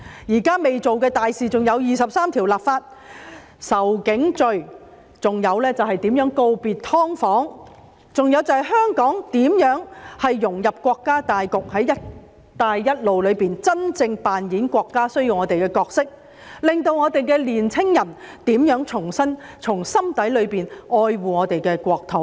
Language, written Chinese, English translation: Cantonese, 現在仍未做的大事還有為《基本法》第二十三條立法、訂定仇警罪、如何告別"劏房"，以及香港如何融入國家大局，在"一帶一路"裏真正扮演國家所需要的角色，令香港的年輕人重新從心底裏愛護我們的國土。, There are still some important issues that remain to be done such as the legislation on Article 23 of the Basic Law the legislation on hate crimes against police bidding farewell to subdivided units and how Hong Kong can integrate into the overall development of the country and truly play the role that the country needs in the Belt and Road Initiative so that the young people of Hong Kong can love our country from the bottom of their hearts again